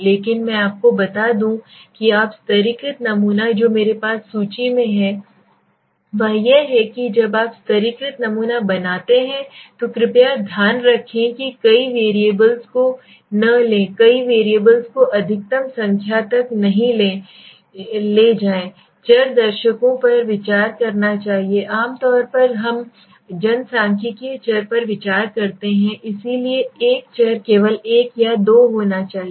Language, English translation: Hindi, But let me tell you stratified sampling which I have list out in the slide is that when you make a stratified sampling please keep in mind do not take to many variables do not take to many variables the maximum number of variables viewers one should consider generally we consider the demographic variable so we should be a variable only one or two right